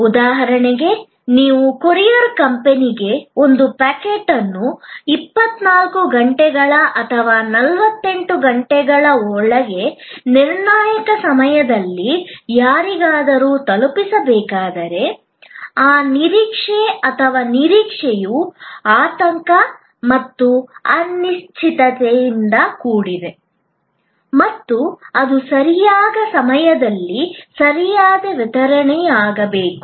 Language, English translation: Kannada, Like for example, when you have handed over a packet to the courier company at needs to be delivered to somebody at a critical point of time within 24 hours or 48 hours and so on, that expectation or anticipation is also full of anxiety and uncertainty and so on about that correct delivery at correct time